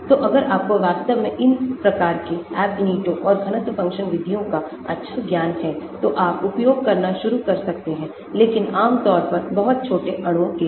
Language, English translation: Hindi, So, if you really need to have a good knowledge of these type of Ab initio and density function methods, you may start using but generally for very small molecules